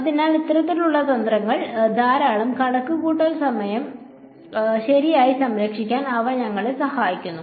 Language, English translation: Malayalam, So, these kinds of tricks, they help us to save a lot of computational time right